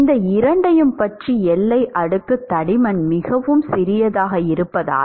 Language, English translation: Tamil, And about these two is because the boundary layer thickness itself is very small